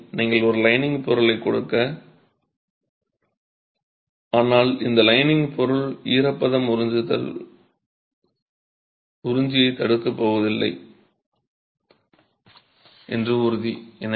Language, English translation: Tamil, So, you give a lining material but ensure that this lining material is not going to prevent absorption of, absorption of moisture